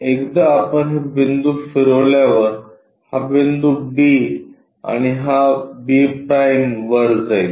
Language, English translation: Marathi, Once we rotate this point moves on to this point b and this one b’